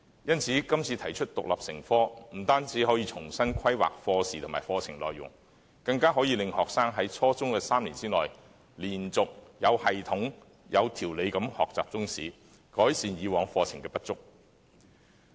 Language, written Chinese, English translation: Cantonese, 因此，今次提出中史獨立成科，不單可重新規劃課時和課程內容，更可令學生在初中3年內，連續、有系統及有條理地學習中史，改善以往課程的不足。, Therefore through the current proposal for teaching Chinese History as an independent subject not only can class hours and the curriculum be reorganized in the three years of the junior secondary level students can also learn Chinese History in a continuous systematic and organized manner thereby redressing the past inadequacies of curriculum